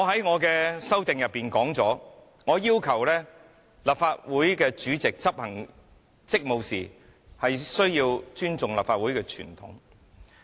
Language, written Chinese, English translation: Cantonese, 我在修正案中，要求立法會主席執行職務時，需要尊重立法會傳統。, In my amendment I propose a requirement that the President in discharging his duties must respect the tradition of the Council